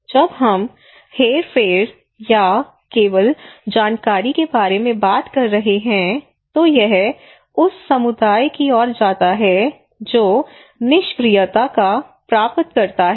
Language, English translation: Hindi, When we are talking about manipulation kind of thing or only informations kind of thing okay it leads to that community is a passive recipient of informations